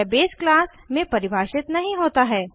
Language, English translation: Hindi, It is not defined in the base class